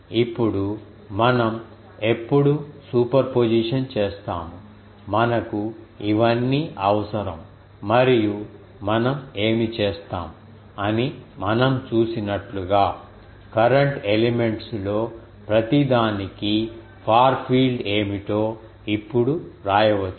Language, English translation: Telugu, Now, as we have seen that when we will do the superposition, ah we need this um things and what we will do that ah we can now write down what will be the far field for each of the current elements